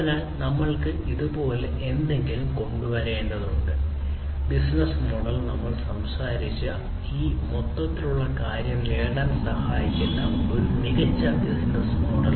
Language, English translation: Malayalam, So, we need to come up with something like this; the business model, a smart business model that can help achieve this overall thing that we have talked about